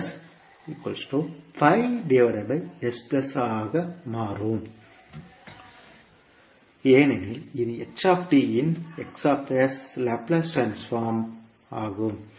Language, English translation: Tamil, Hs can become five upon s plus two because it is Laplace transform of ht